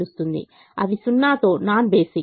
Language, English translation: Telugu, they are non basic with zero